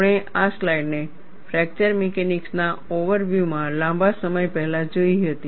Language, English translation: Gujarati, We had seen this slide long time back, in the over view of fracture mechanics